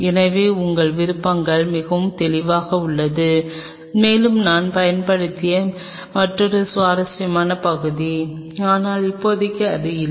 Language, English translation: Tamil, So, your options are very clear either and another interesting part I used to heam of, but as of now it is kind of not